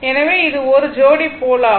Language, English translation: Tamil, So, it is one pair of pole